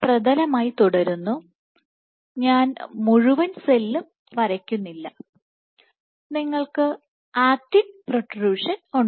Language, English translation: Malayalam, So, this remains the substrate, I am not drawing the entire cell, you have actin protrusion